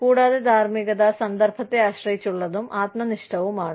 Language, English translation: Malayalam, And moralities, context dependent, and subjective